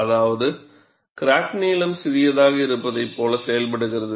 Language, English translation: Tamil, So, that means, crack behaves as if it is smaller in length